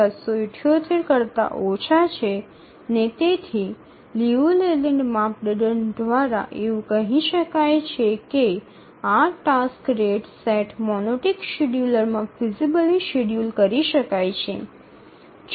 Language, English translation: Gujarati, 778 and therefore by the Leland criterion we can say that this task set can be feasibly scheduled in the rate monotonic scheduler